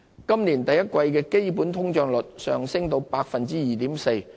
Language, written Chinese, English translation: Cantonese, 今年第一季的基本通脹率上升至 2.4%。, The underlying inflation rate rose to 2.4 % in the first quarter this year